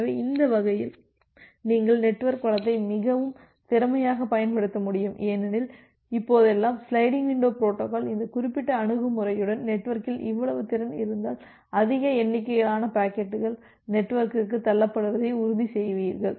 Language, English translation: Tamil, So, that way, you will be able to utilize the network resource more efficiently because nowadays, now with this particular approach of sliding window protocol, you will be ensuring that more number of packets can be pushed to the network if the network has that much of capacity